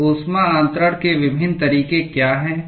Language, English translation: Hindi, So, what are the different modes of heat transfer